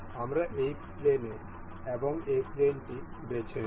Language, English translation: Bengali, We will select say this plane and this plane